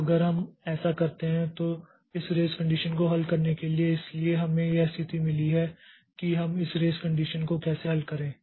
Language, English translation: Hindi, So, if we, so for solving this risk condition, so we have got this situation like how do we solve this risk condition